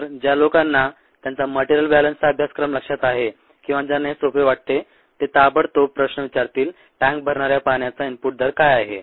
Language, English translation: Marathi, so people who remember, ah, their material balance scores or who are comfortable with this will immediately ask the question: what is the input rate of water that fills the tank